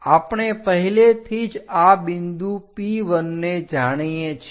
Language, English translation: Gujarati, Already we know this point P1 locate it on the sheet